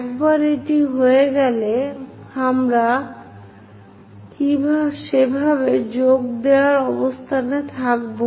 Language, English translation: Bengali, Once it is done, we will be in a position to join in that way